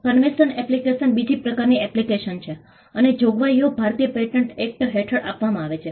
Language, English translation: Gujarati, A convention application is the second type of application and the provisions are given under the Indian Patents Act